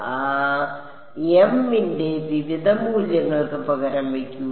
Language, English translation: Malayalam, So, substitute W m x for various values of m